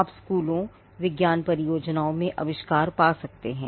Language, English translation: Hindi, Now you could find inventions in schools, science projects